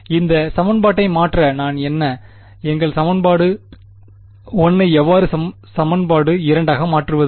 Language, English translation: Tamil, So, to convert this equation what would I, what is the how do I convert our equation 1 into equation 2